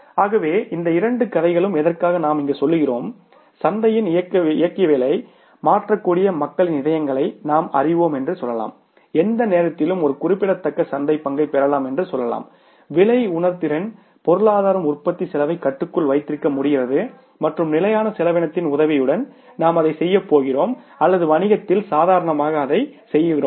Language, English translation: Tamil, So it means these two stories tell us that yes, we can go for it and we can say win over the hearts of the people, we can change the dynamics of the market, we can say earn a significant market share within no time provided in a price sensitive economy we are able to keep the cost of production under control and with the help of standard costing we are going to do that or we normally do that in the businesses